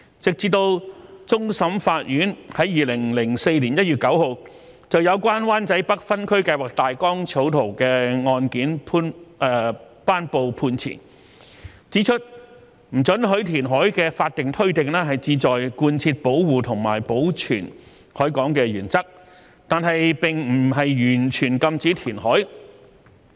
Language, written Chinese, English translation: Cantonese, 直至終審法院在2004年1月9日，就有關灣仔北分區計劃大綱草圖的案件頒布判詞，指出不准許填海的法定推定，旨在貫徹保護和保存海港的原則，但並不完全禁止填海。, The Court of Final Appeal handed down its judgment on 9 January 2004 in respect of the draft Wan Chai North Outline Zoning Plan and held that the statutory presumption against reclamation in the harbour is to implement the principle of protection and preservation . It does not prohibit reclamation altogether